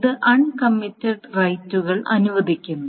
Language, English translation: Malayalam, So, this allows uncommitted rights